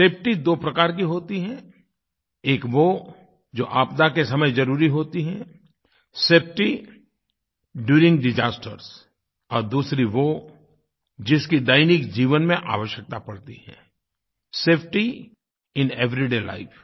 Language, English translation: Hindi, Safety is of two kinds one is safety during disasters and the other is safety in everyday life